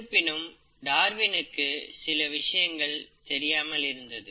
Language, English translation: Tamil, But, Darwin did not know certain things